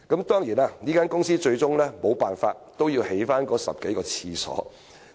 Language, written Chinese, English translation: Cantonese, 當然，公司最終沒有辦法，不得不興建10多個廁格。, In the end the company of course had no alternative but to agree to construct 10 - odd toilet cubicles